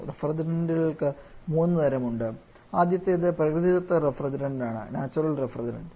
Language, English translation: Malayalam, Refrigerants can broadly of 3 types the first one is natural refrigerant